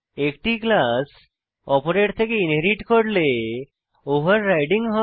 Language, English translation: Bengali, Overriding occurs when one class is inherited from another